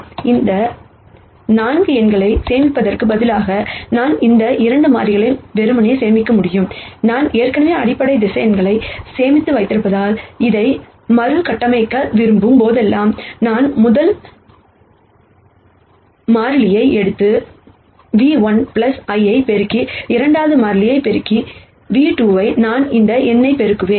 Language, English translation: Tamil, So, instead of storing these 4 numbers, I could simply store these 2 constants and since I already have stored the basis vectors, whenever I want to reconstruct this, I can simply take the first constant and multiply v 1 plus the second constant multiply v 2 and I will get this number